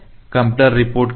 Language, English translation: Hindi, What is the computer reports